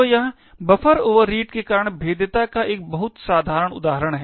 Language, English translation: Hindi, So, this we see is a very simple example of a vulnerability due to buffer overreads